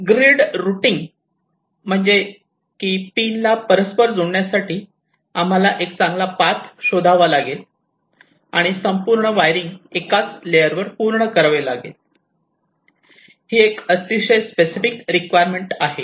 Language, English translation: Marathi, grid routing says that we have to find out a good path to interconnect the pins, and the entire wiring has to be completed on a single layer